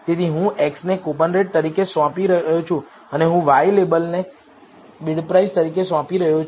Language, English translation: Gujarati, So, I am assigning it as x “Coupon Rate" and y label I am assigning it as “Bid Price"